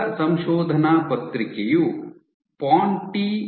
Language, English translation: Kannada, First one you have Ponti et al